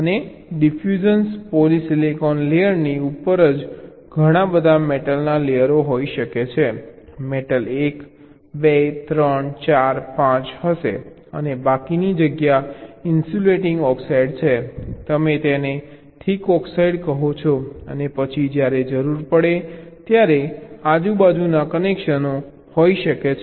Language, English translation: Gujarati, and just above diffusion and polysilicon layer there can be several metal layers will be metal one, metal two, three, four, five and the remaining space there is insulating oxide, you call it thick oxide and as then, when required, there can be connections across layers, like this connection shows between metal one, polysilicon